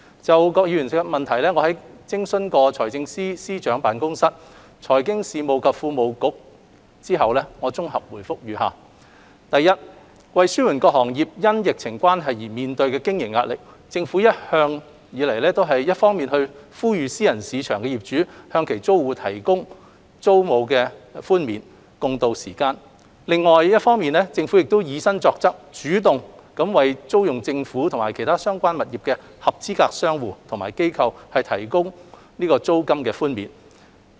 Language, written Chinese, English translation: Cantonese, 就郭議員的質詢，經諮詢財政司司長辦公室、財經事務及庫務局後，我現綜合答覆如下：一為紓緩各行業因疫情關係而面對的經營壓力，政府一方面呼籲私人市場業主向其租戶提供租金寬免，共渡時艱，另一方面亦以身作則，主動為租用政府及其他相關物業的合資格商戶或機構提供租金寬免。, Having consulted the Financial Secretarys Office and the Financial Services and the Treasury Bureau the consolidated reply to Mr KWOKs question is as follows 1 To alleviate the pressure arising from the pandemic on businesses the Government has on the one hand appealed to landlords in the private sector to offer rental concessions to their tenants so as to sail through the difficult period together . On the other hand we have also led by example proactively offered rental concessions to eligible businessorganizations operating in government premises and other related properties